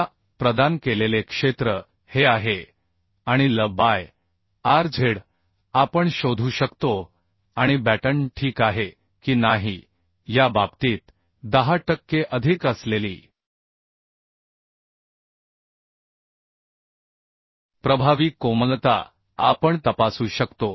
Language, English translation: Marathi, Now area provided is this and L by rz we can find out and we can check the effective slenderness which is 10 per cent more in case of batten is ok or not